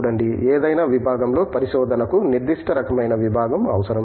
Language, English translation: Telugu, See, research in any discipline requires certain kind of discipline